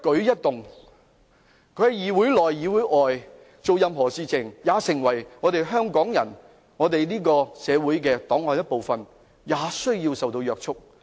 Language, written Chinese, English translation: Cantonese, 他們在議會內外的一舉一動皆要成為香港社會檔案的一部分，並受到有關法例約束。, Their every move inside and outside the Council must become part of the public files of Hong Kong and be bound by the relevant legislation